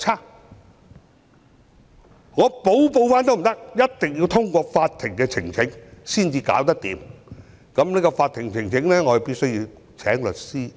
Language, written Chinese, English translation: Cantonese, 而且即使我想補報也不可以，一定要通過向法庭呈請才能處理，而為了這個法庭呈請，我必須聘律師。, Even if I wanted to report afterwards I could not do so and could only rectify my election returns by lodging a petition with the court . In order to lodge the petition I had to hire a lawyer